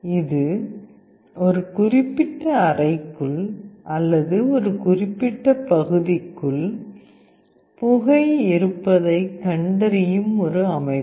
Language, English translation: Tamil, It is a system that will detect smoke, whether it is present inside a particular room or a particular area